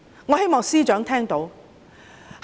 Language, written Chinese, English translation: Cantonese, 我希望司長聽到。, I hope the Secretary has heard this